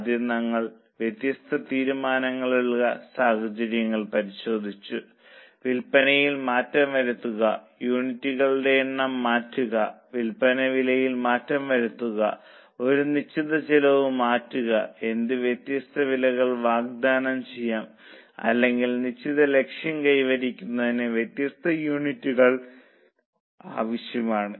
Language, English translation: Malayalam, Firstly, we have looked at different decision scenarios with tweaking of sales, with tweaking of number of units, with tweaking of selling prices, with tweaking of fixed costs, what different prices can be offered or what different units are required for achieving certain target